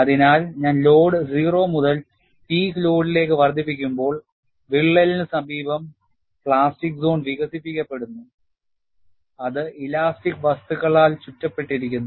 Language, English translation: Malayalam, So, when I increase the load from 0 to peak load, in the vicinity of the crack, you have plastic zone developed, which is surrounded by elastic material